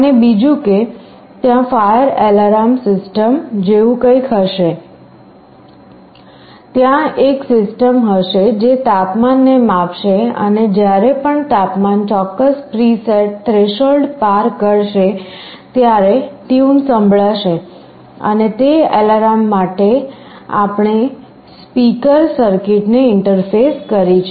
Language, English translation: Gujarati, And secondly, there can be something like a fire alarm system, there will be a system which will be sensing the temperature and whenever the temperature crosses a certain preset threshold an alarm that will be sounded, and for that alarm we have interfaced a speaker circuit